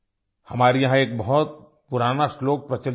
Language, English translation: Hindi, We have a very old verse here